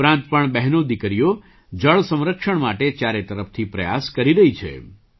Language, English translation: Gujarati, Apart from this, sisters and daughters are making allout efforts for water conservation